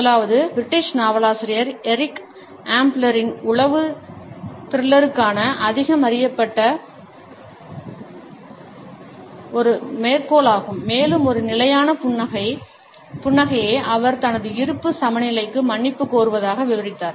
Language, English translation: Tamil, The first one is a quote from the British Novelist Eric Ambler known more for spy thrillers, and he has described one constant smiling as a standing apology for the in equity of his existence